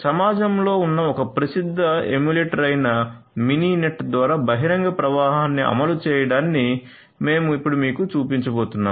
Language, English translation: Telugu, We are now going to show you the implementation of open flow through Mininet which is a popular emulator that is there in the community